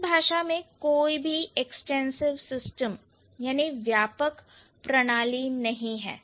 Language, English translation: Hindi, this language does not have an extensive system